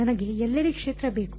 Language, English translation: Kannada, I want the field everywhere